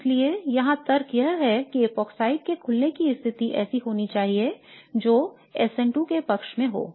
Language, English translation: Hindi, And so here the logic is that the opening of the epoxide would have to happen under conditions which would favour an SN2 like process